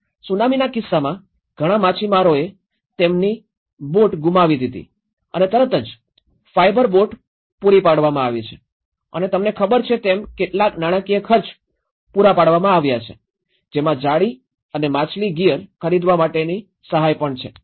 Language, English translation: Gujarati, In the Tsunami case, many of the fishermen lost their boats so immediately, the fibre boats have been provided and provided some financial expenditure you know, support to buy some nets and fish gear